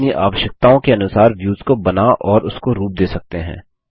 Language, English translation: Hindi, We can create and design views according to our requirements